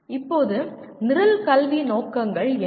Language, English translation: Tamil, Now, what are Program Educational Objectives